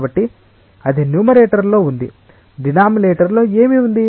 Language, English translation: Telugu, So, that is there in the numerator, in the denominator what is there